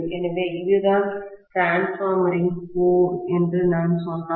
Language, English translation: Tamil, So, if I say that this is what is the transformer’s core, right